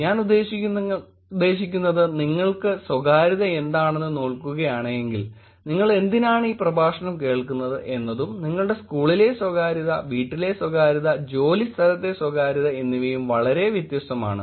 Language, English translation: Malayalam, I mean, if you were to look at what privacy is for you, why are you sitting and listening to this lecture, versus privacy in your school, privacy at home, privacy at work is very different